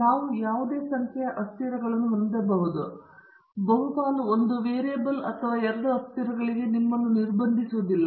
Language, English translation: Kannada, We can have any number of variables okay; you do not get restrict yourself to one variable or two variables at the most